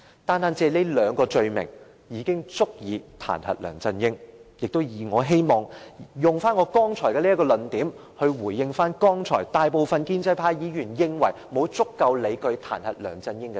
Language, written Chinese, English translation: Cantonese, 單是這兩項罪名，已足以構成彈劾梁振英的理據，我也希望以這論點，回應剛才大部分建制派議員指沒有足夠理據彈劾梁振英的說法。, These two offences are sufficient to form the legal basis of impeachment against LEUNG Chun - ying . Based on this point I also wish to refute the argument of most pro - establishment Members that we do not have adequate justification to impeach LEUNG Chun - ying